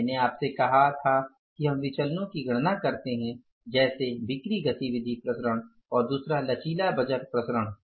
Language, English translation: Hindi, I told you that we calculate the variances like sales activity variance and second is the flexible budget variances